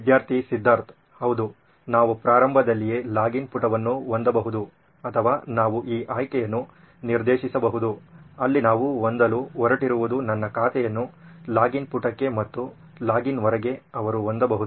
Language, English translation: Kannada, Yeah we can have a login page in the beginning or we can direct this option where what we are going to have is my account into a login page and outside the login they can have their